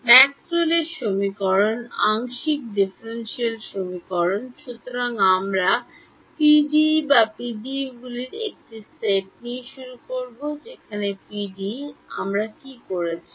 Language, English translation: Bengali, Maxwell’s equation, partial differential equations; so, we start with PDE or a set of PDEs right what did we do to this PDE